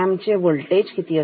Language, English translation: Marathi, What is a ramp voltage